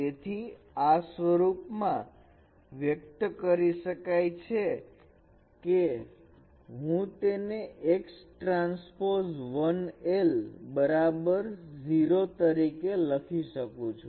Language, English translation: Gujarati, So this could be expressed as in this form that I can write it as x transpose l equals 0